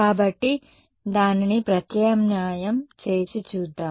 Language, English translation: Telugu, So, let us substitute it and see